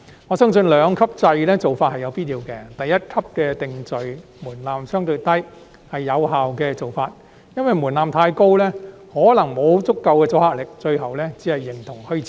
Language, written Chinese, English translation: Cantonese, 我相信兩級制的做法是有必要的，第一級的定罪門檻相對較低，是有效的做法，因為若門檻太高，可能沒有足夠阻嚇力，最後只會形同虛設。, I believe that the adoption of a two - tier structure is necessary . It is an effective approach to set a relatively low conviction threshold for the first tier because if the threshold is too high it may not provide adequate deterrence and will eventually become something existing in name only